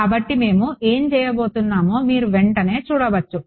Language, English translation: Telugu, So, you can straight away see what we are going to do